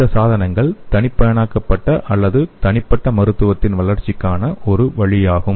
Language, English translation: Tamil, So and this devices could be a way for the development of individualized or personalized medicine